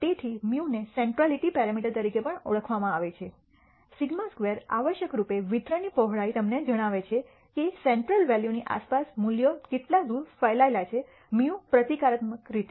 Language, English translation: Gujarati, So, mu is also known as the centrality parameter and sigma squared is essentially the width of the distribution tells you how far the values are spread around the central value mu symbolically